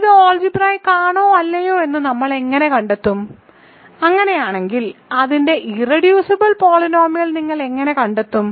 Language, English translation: Malayalam, So, how do we find whether it is algebraic or not and if so, how do you find its irreducible polynomial